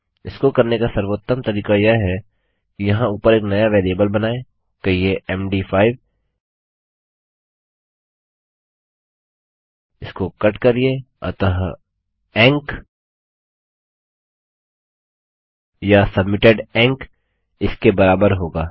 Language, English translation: Hindi, The best way to do this is to create a new variable up here saying, MD5 cut this so enc or submitted enc equals that